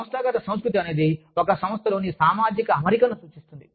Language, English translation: Telugu, Organizational culture refers to, the social setup, within an organization